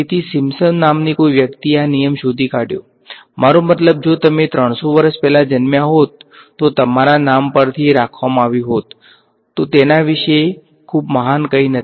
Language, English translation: Gujarati, So, some person by the name of Simpson discovered this rule, I mean if you were born 300 years ago, it would be named after you right; it is nothing very great about it